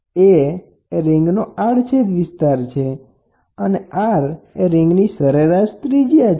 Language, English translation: Gujarati, A is the area of a cross section of the annular ring, r is a mean radius of the annular ring